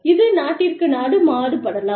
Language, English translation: Tamil, They vary from, country to country